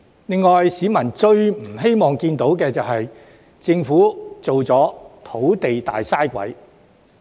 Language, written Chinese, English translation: Cantonese, 另外，市民最不希望看到政府淪為土地方面的"大嘥鬼"。, Moreover the last thing people wish to see is the huge waste of land by the Government